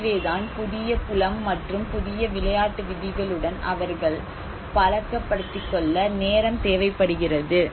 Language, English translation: Tamil, So that is where it takes time to adapt to the way they have to accustom with the new field and new game rules